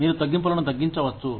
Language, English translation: Telugu, You could reduce the layoffs